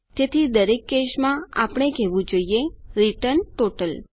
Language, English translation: Gujarati, So, in each case what we should say is return total